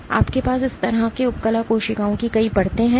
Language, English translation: Hindi, So, you have multiple layers of epithelial cells like this